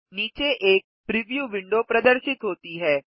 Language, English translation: Hindi, A preview window has appeared below